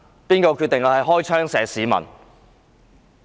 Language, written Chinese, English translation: Cantonese, 是誰決定開槍射擊市民？, Who decided to shoot the people?